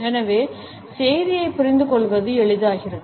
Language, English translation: Tamil, And therefore, the comprehension of the message becomes easier